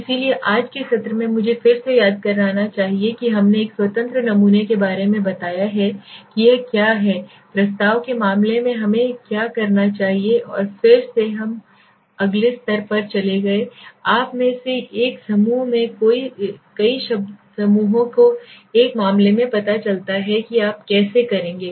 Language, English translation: Hindi, So today in the session let me recap we have explained about a independent sample it is what it talk about what should we do in case of proposition and then we next moved on to the next level in a group of you know in a case of multiple groups how would you what would you do